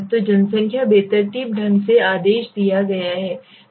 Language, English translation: Hindi, So the population is randomly ordered